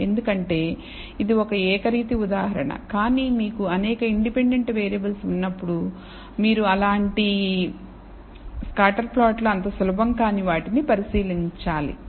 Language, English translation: Telugu, Because it is a univariate example, but when you have many independent variables, then you have to examine several such scatter plots and that may not be very easy